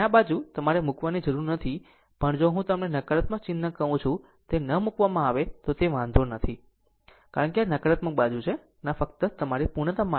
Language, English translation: Gujarati, So, this side no need to put your even if I do not put what you call the negative sign is does not matter, because this is negative side, but just to for the sake of your completeness